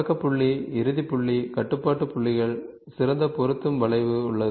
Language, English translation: Tamil, Start point, end point, control points, there is a best fit curve